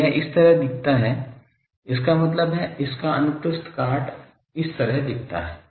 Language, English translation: Hindi, So, it looks like this; that means, cross section of this looks like this